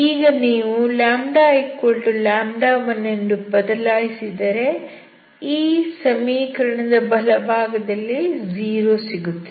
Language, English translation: Kannada, Now if you putλ=λ1, the right hand side becomes zero